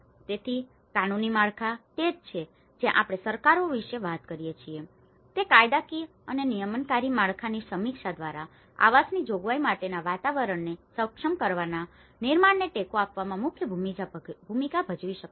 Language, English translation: Gujarati, So, the legal frameworks, that is where we talk about the governments can play a key role in supporting the creation of enabling environments for housing provision through reviewing legal and regulatory framework